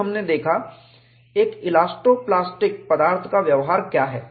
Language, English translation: Hindi, Then, we looked at, what is an elasto plastic material behavior